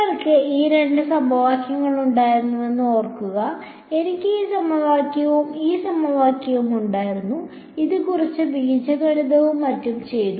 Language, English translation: Malayalam, So, remember we had these two equations; yeah I had this equation and this equation, which at subtracted done some algebra and so on